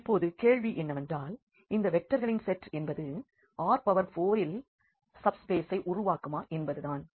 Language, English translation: Tamil, So, now, the question is whether this set the set of these vectors form a subspace in R 4